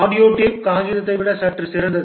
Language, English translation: Tamil, Audio tape is slightly better than paper